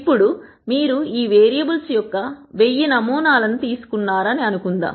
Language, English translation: Telugu, Now let us assume that you have taken 1000 samples of these variables